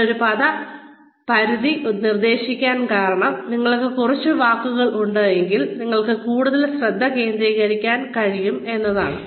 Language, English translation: Malayalam, The reason, I am suggesting a word limit is that, you will be able to focus more, if you have a fewer number of words, available to you